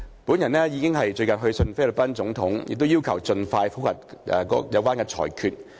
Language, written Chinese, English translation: Cantonese, 本人已去信菲律賓總統，要求盡快覆核裁決。, I have written to the President of the Philippines requesting an expeditious review of the judgment